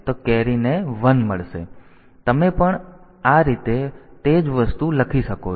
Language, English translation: Gujarati, So, you can write the same thing in this fashion also